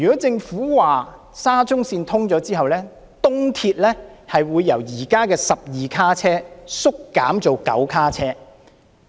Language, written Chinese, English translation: Cantonese, 政府說沙中線通車後，東鐵會由現時的12卡車縮減至9卡車。, According to the Government after the commissioning of SCL the East Rail Line will reduce the train configuration from 12 cars to 9 cars